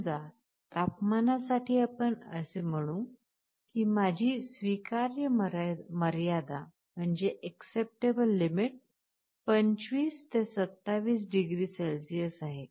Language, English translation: Marathi, Like let us say, for temperature you may say that my acceptable limit is 25 to 27 degree Celsius